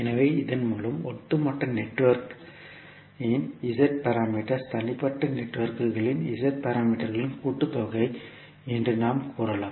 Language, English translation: Tamil, So, with this we can say that the Z parameters of the overall network are the sum of the Z parameters of the individual networks